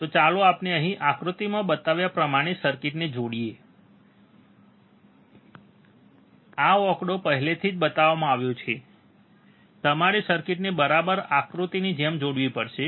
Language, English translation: Gujarati, So, let us see here connect the circuit as shown in figure, this figure is already shown, you have to connect the circuit exactly like a figure